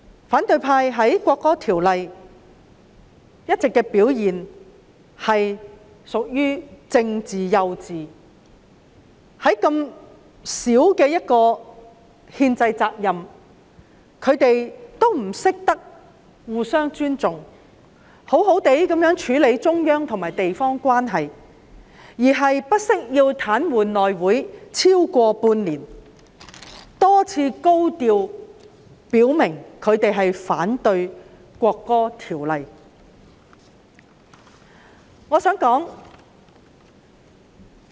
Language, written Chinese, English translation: Cantonese, 反對派在審議《條例草案》期間的表現屬於"政治幼稚"，即使這麼小的憲制責任，他們也不懂得互相尊重，好好處理中央與地方關係，反而不惜癱瘓內務委員會超過半年，多次高調表明反對《條例草案》。, During the scrutiny of the Bill the performance of the opposition camp can be said to be politically naïve . In dealing with such a minor constitutional obligation the opposition camp has failed to show mutual respect . Instead of properly handling the relationship between the Central Authorities and the local government they have paralysed the House Committee for more than six months and repeatedly vowed in a high - profile manner that they opposed the Bill